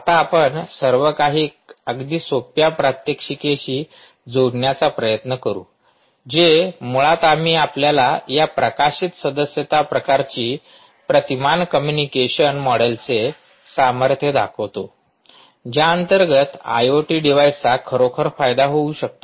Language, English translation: Marathi, now what we will do is we will try to connect everything with a very simple demonstration, ah i, which basically, we will show you the power of this published, subscribe ah kind of paradigm communication model under which ah i o t devices can actually benefit from ok